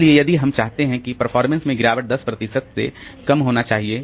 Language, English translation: Hindi, So, if we want that the performance degradation will be very small